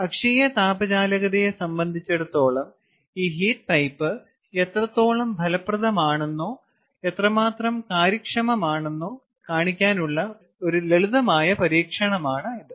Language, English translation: Malayalam, its a simple experiment to show how effective or how efficient this heat pipe is in terms of its axial thermal conductivity